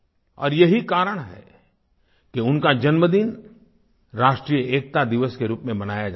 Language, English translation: Hindi, And that is why his birthday is celebrated as National Unity Day